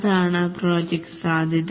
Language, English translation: Malayalam, Will that be a project